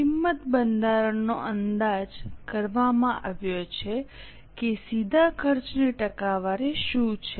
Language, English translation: Gujarati, Cost structure has been estimated that what is a percentage of direct costs